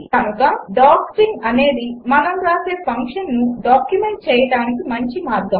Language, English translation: Telugu, Thus doc string is a good way of documenting the function we write